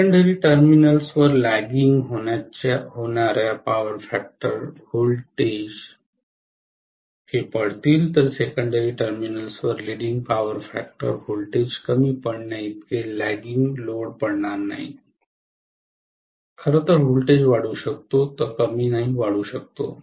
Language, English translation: Marathi, So for lagging power factor voltage at the secondary terminals will fall, whereas for leading power factor voltage at the secondary terminals will not fall as much as for lagging loads, in fact, the voltage can rise, it may not even fall it can rise